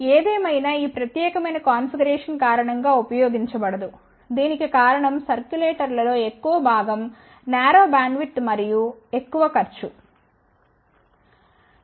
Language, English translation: Telugu, However, this particular configuration is generally not used the reason for that is majority of the circulars have narrow bandwidth and high cost